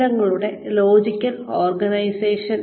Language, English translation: Malayalam, Logical organization of information